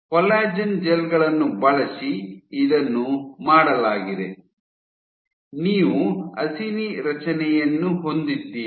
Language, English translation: Kannada, So, this was done using collagen gels, you have the acini structure formed